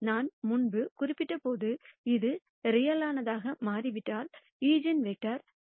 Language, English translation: Tamil, And as I mentioned before if this turns out to be real, then the eigenvectors are also real